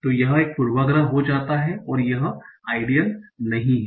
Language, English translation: Hindi, So this gets a bias and that is not what is ideal